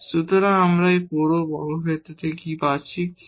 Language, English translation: Bengali, So, what we are getting out of this whole square, k square by 4